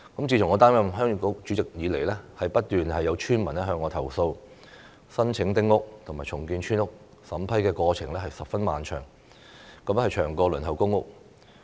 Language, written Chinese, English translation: Cantonese, 自從我擔任鄉議局主席以來，不斷有村民向我投訴，申請丁屋和重建村屋的審批過程十分漫長，比輪候公屋還要長。, Since I became Chairman of the Heung Yee Kuk villagers have constantly complained to me that the vetting and approval process for applications for building small houses and redeveloping village houses is protracted even longer than the waiting time for public housing